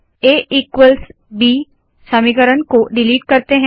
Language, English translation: Hindi, Let us now delete the A equals B equation